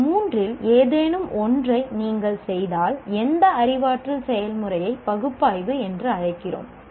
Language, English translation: Tamil, If you do any of these three, we call it that cognitive process as analyzed